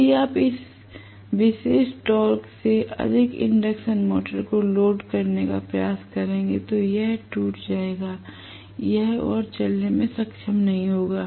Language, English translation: Hindi, That is break down torque if you try to load the induction motor beyond this particular torque it will stop, it will stall, it will not be able to run any more